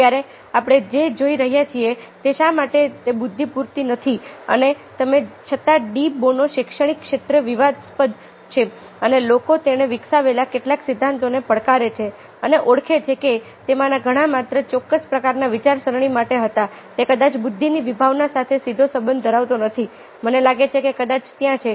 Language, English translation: Gujarati, intelligence is not enough, and although de bono ah is controversial in the academic field and people ah challenge some of the theories ah he has developed and identify that many of them were only for certain kinds of thinking, may not directly relate to the concept of intelligence